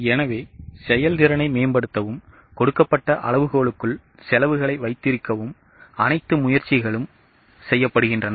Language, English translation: Tamil, So, all efforts are made to improve efficiency and to keep costs within the given benchmark